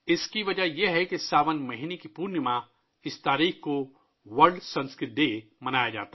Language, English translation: Urdu, The reason for this is that the Poornima of the month of Sawan, World Sanskrit Day is celebrated